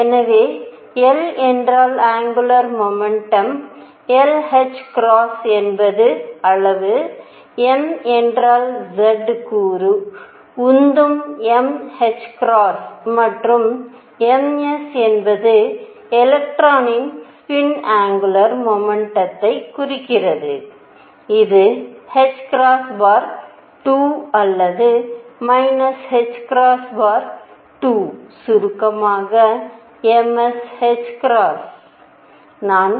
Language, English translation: Tamil, So, l means the angular momentum is l h cross as the magnitude, m means z component momentum is m h cross, and m s implied spin angular momentum of electron which is h cross by 2 or minus h cross by 2, in short m s h cross